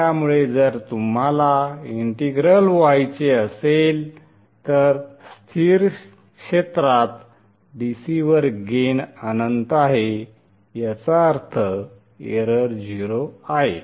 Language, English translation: Marathi, So if you put an integral, the gain is infinite at DC or at stable region, which means that the error is 0